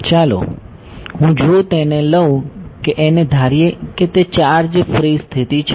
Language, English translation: Gujarati, Now, if I take and let us also assume a charge free situation